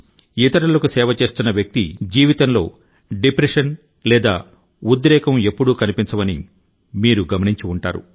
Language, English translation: Telugu, You must have observed that a person devoted to the service of others never suffers from any kind of depression or tension